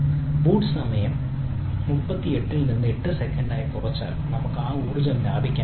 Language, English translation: Malayalam, if it is reduced the boot time from thirty eight to eight seconds, so effectively we can have energy savings